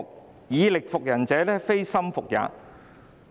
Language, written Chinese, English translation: Cantonese, "反之，"以力服人者，非心服也"。, On the contrary When one by force subdues men they do not submit to him in heart